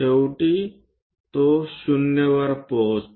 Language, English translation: Marathi, Finally, it reaches at 0